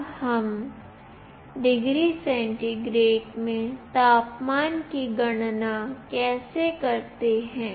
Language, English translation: Hindi, Now how do we compute the temperature in degree centigrade